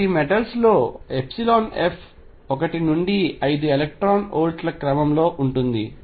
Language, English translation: Telugu, So, epsilon f in metals is of the order of one to 5 electron volts